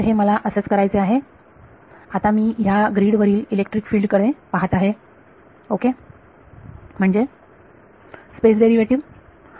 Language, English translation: Marathi, So, it is this is what I want to do; now I am looking at electric fields on the grid ok; so space derivatives